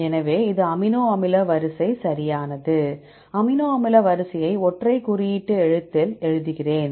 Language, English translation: Tamil, So, and this is amino acid sequence right, I give the amino acid sequence in single letter code right